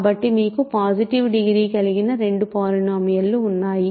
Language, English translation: Telugu, So, you have two polynomials with positive degree